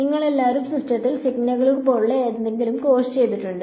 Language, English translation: Malayalam, And all of you have done the course on something like signals in systems